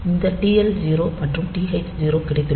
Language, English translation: Tamil, So, you have got this TL0 and TH0